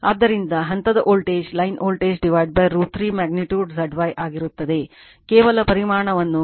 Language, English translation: Kannada, So, phase voltage will be line voltage by root 3 magnitude Z Y just you are making the magnitude